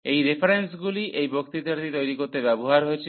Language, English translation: Bengali, So, these are the references which were used to prepare these lectures